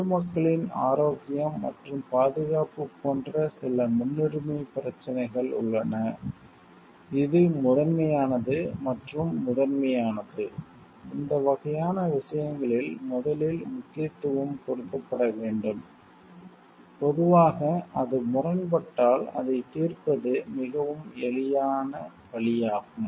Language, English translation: Tamil, There are certain priority issues like again health and safety of the public at large which is the paramount and prime importance which to given importance first, in these kind of things and generally it is very easy way to solve if it is having a conflict with any other conflicting demands